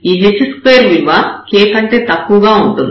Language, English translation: Telugu, This h square is smaller than the k